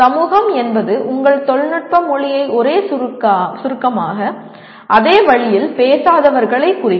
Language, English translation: Tamil, Society at large would mean people who do not speak your technical language in the same acronym, same way